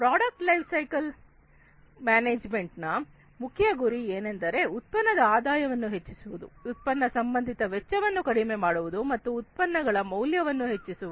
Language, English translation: Kannada, So, the main goal of product lifecycle management is to maximize the product revenues, to decrease the product associated costs, and to increase the products value